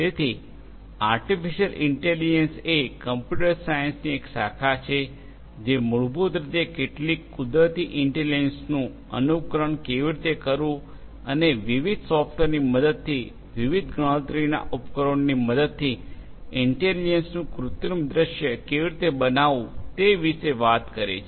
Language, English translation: Gujarati, So, artificial intelligence is a branch of computer science which talks about how to basically imitate some of the natural intelligence that is there and create an artificial scenario or artificial scenario of intelligence with the help of different computational devices with the help of different software and so on